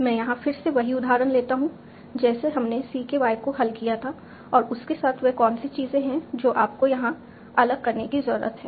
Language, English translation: Hindi, So what I will do I will just take the same example how we solve CKY and I will show what are the things that you need to do different here